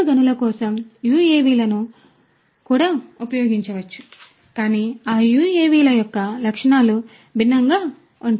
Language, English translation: Telugu, For indoor mines UAVs could also be used; that means, you know, but those the specifications of those UAVs are going to be different